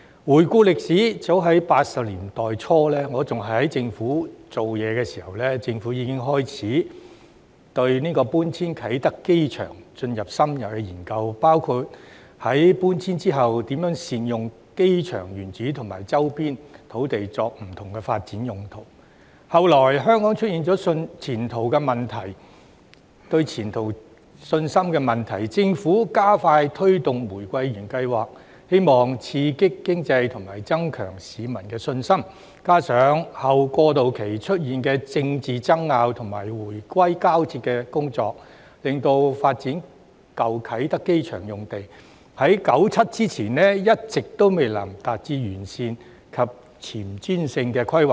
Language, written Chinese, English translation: Cantonese, 回顧歷史，早在1980年代初，我仍然在政府部門工作時，政府已經開始對搬遷啟德機場進行深入研究，包括在搬遷後如何善用機場原址和周邊土地作不同發展用途，後來香港出現對前途的信心問題，政府加快推動"玫瑰園計劃"，希望刺激經濟和增強市民的信心，加上後過渡期出現的政治爭拗和回歸交接的工作，令發展舊啟德機場用地在1997年之前一直未能達致完善及前瞻性的規劃。, Looking back at history as early as at the beginning of the 1980s when I was still working in the government department the Government has commenced an in - depth study on the relocation of the Kai Tak Airport including how to make good use of the original airport site and its surrounding land for various development purposes after the relocation . Subsequently as there were confidence issues on the future in Hong Kong the Government accelerated the Rose Garden Project in the hope of stimulating the economy and boosting public confidence . That coupled with the political disputes during the latter part of the transition period and the handover resulted in the lack of comprehensive and forward - looking planning for the development of the former Kai Tak Airport site before 1997